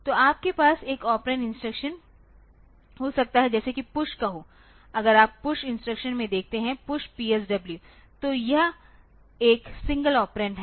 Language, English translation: Hindi, So, you can have one operand instruction like say PUSH so, if you look into the push instruction PUSH P s w so, this is a single operand